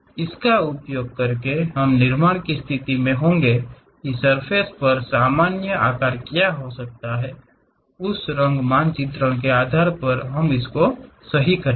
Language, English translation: Hindi, By using that, we will be in a position to construct what might be the normal to surface, based on that color mapping we will do right